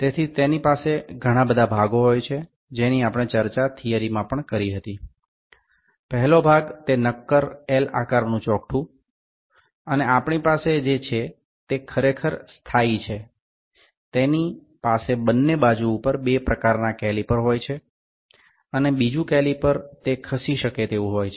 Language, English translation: Gujarati, So, it has various components as we have discussed in the theory as well, the first component is the solid L shaped frame, the solid L shaped frame and we have which is actually fixed, it has two type calipers on the both sides and another is caliper that is moveable